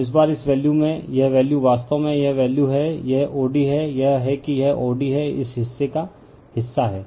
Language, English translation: Hindi, So, this time in this value, this is this value actually this is the value, this is o d, this is that your this is your o d this, portion this portion right